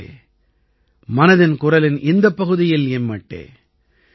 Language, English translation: Tamil, Friends, that's all with me in this episode of 'Mann Ki Baat'